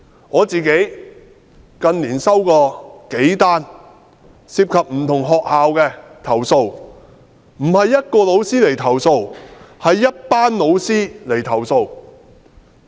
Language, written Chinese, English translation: Cantonese, 我近年收過數宗涉及不同學校的投訴，不是一位老師，而是一群老師的投訴。, In recent years I have received a few complaints which involve different schools . Each of these complaints is not made by one teacher but a group of teachers